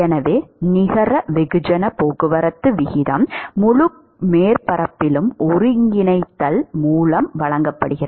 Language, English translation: Tamil, So, therefore, the net mass transport rate is given by Integral over the whole surface